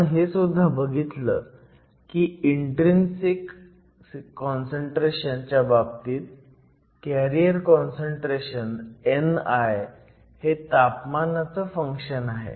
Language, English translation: Marathi, We also saw that in the case of an intrinsic semiconductor the carrier concentration n i is a function of temperature